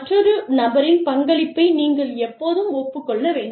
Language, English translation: Tamil, You must always acknowledge, the contribution of another person